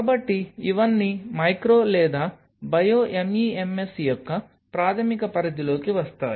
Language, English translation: Telugu, So, these all fall under the basic purview of micro or bio MEMS